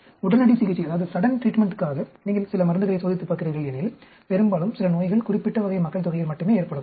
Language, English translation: Tamil, Suppose, if you are testing some drugs for sudden treatment, most, some disease may happen only in certain type of population and so on